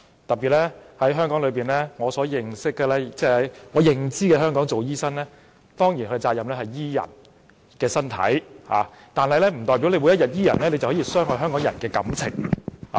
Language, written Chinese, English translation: Cantonese, 特別是，以我的認知，在香港擔任醫生，其責任是醫治病人的身體，但醫治病人不代表就可以傷害香港人的感情。, In particular my understanding is that being a doctor in Hong Kong one is duty - bound to treat patients but this does not mean that the doctor can hurt the feelings of Hong Kong people